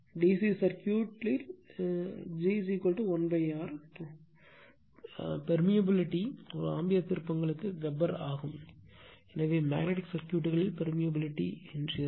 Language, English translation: Tamil, And permeance in the DC circuit g is equal to 1 upon R, the conductance here the permeance that is 1 upon R that is Weber per ampere turns, so permeance of the magnetic circuit right